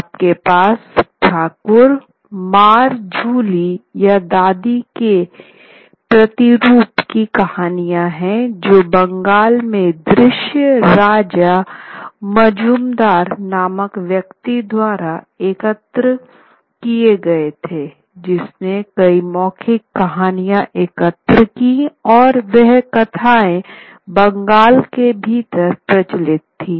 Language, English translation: Hindi, You also have the Thakumar Jhuli or the rapporteur of the grandmother as one can say which were collected by someone called Daksana Anjanjan Majindar in Bengal, which collected many oral narratives which were prevalent within Bengal